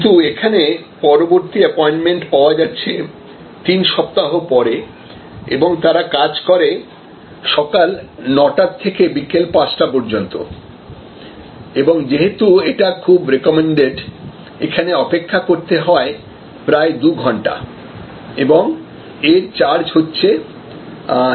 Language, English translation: Bengali, But, the next possible appointment is 3 weeks later and they operate only 9 to 5 pm and the estimated wait because that clinic is very highly recommended may be 2 hours and there price is 450